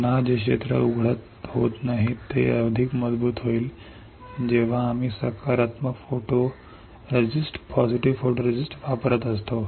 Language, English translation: Marathi, Again the area which is not exposed will be stronger when we are using positive photoresist